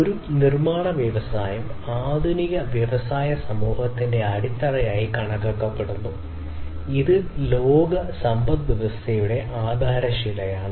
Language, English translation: Malayalam, So, a manufacturing industry is considered as a base of modern industrial society and is the cornerstone of the world economy